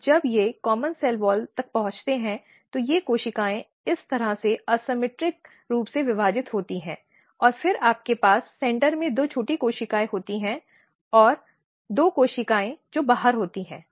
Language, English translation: Hindi, And when they reach to the common cell wall, these cells basically asymmetrically divide like this and then you have two small cells in the centre and then two cells which are outside